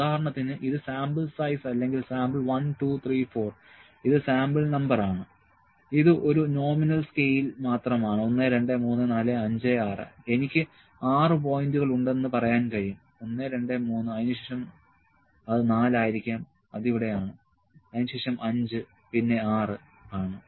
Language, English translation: Malayalam, Let me say if this is sample size, sample 1, 2, 3, 4, not sample size, this is sample number, this is just a nominal scale1, 2, 3, 4, 5, 6, I can say 6 points 1 2 3, then it can be a something 4 can be here, then let me say 5 and then 6